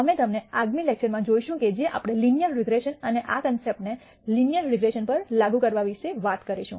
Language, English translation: Gujarati, We will see you in the next lecture which we will talk about linear regression and the application of these concepts to linear regression